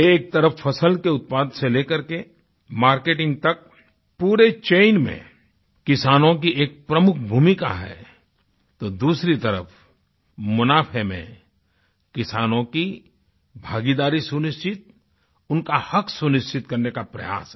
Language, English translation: Hindi, On one hand, farmers have a major role in the entire chain from cultivation till the marketing of crops, whereas on the other hand, to make certain the farmers' participation in reaping profits is an attempt to guarantee their right